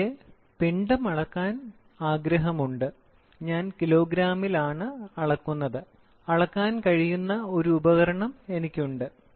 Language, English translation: Malayalam, Suppose let us assume, I want to measure mass, I measure by kg, I have a device which can measure